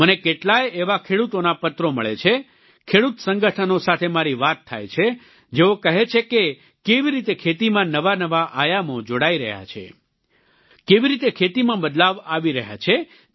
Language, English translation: Gujarati, I get many such letters from farmers, I've had a dialogue with farmer organizations, who inform me about new dimensions being added to the farming sector and the changes it is undergoing